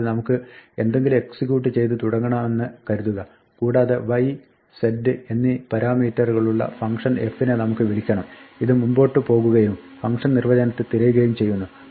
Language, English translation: Malayalam, So, suppose we start executing something and we have a function call to a function f, with parameters y and z this will go and look up a definition for the function and inside the definition perhaps